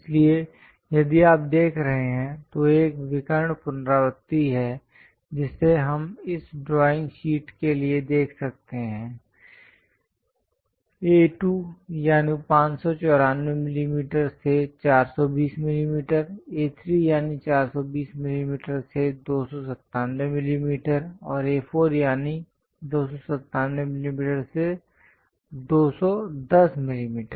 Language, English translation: Hindi, So, if you are seeing, there is a diagonal repetition we can see for this drawing sheets; A2 594 to 420, A3 420 to 297, and A4 297 to 210